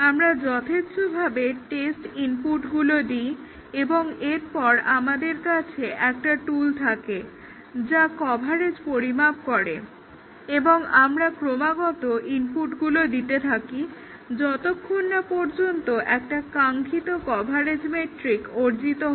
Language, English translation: Bengali, We give test inputs, random test inputs and then we have a tool which measures the coverage and we keep on giving inputs until a desired coverage metric is achieved